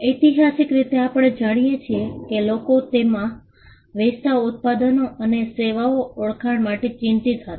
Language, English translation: Gujarati, Historically we know that people used to be concerned about identifying the products and the services they were selling